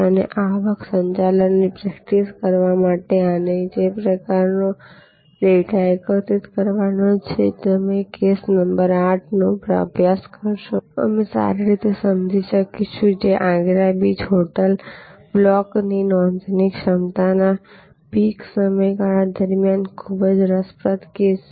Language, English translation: Gujarati, And the kind of data that one as to collect to make this to practice revenue management we will understand quite well if you study case number 8, which is the Agra beach hotel block booking of capacity during a peek period very interesting case